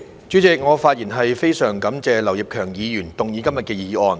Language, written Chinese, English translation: Cantonese, 主席，我非常感謝劉業強議員動議今天的議案。, President I am very grateful to Mr Kenneth LAU moving the motion today